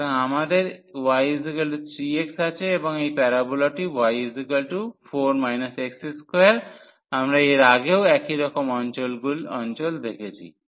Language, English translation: Bengali, So, we have y is equal to 3 x and this parabola is y is equal to 4 minus x square we have seen earlier also similar regions